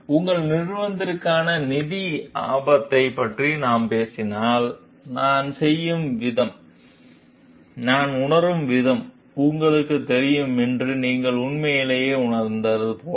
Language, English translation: Tamil, Like if we talks of financial risk for your company, and if you truly feel like you know the way that I am doing, the way that I am feeling